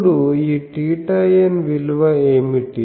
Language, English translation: Telugu, So, what is the value of theta n